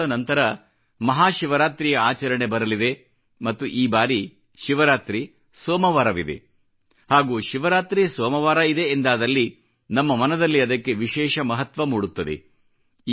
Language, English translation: Kannada, In a few days from now, Mahashivrartri will be celebrated, and that too on a Monday, and when a Shivratri falls on a Monday, it becomes all that special in our heart of our hearts